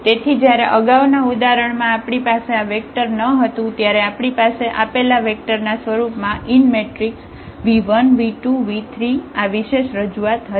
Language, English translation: Gujarati, So, the earlier example when we did not have this vector there, we have the unique representation of the of this v 1 v 2 v 3 in terms of the given vectors